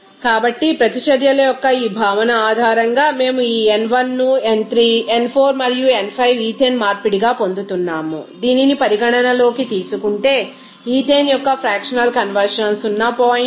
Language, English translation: Telugu, So, based on this concept of extent of reactions, we are getting this n1 into n3 n4 and n5 ethane conversion if we consider that, if the factional conversion of the ethane is 0